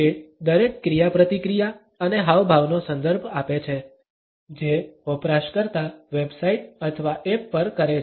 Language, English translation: Gujarati, It refers to every interaction and gesture a user makes on a website or on an app